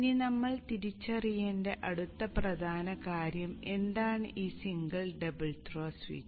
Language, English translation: Malayalam, The next important thing that we need to now identify is what is this single pole double throw switch